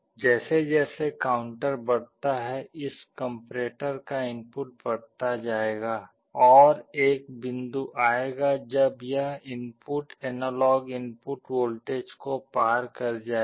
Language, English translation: Hindi, As the counter increases the input of this comparator will go on increasing, and there will be a point when this input will be crossing the analog input voltage